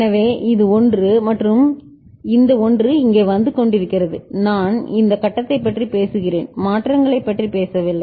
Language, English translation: Tamil, So, this is 1 and this 0 is coming over here right I am talking about this stage, I have not talked about you know, changes ok